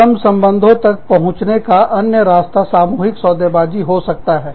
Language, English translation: Hindi, The other way, in which, the labor relations can be approached is, collective bargaining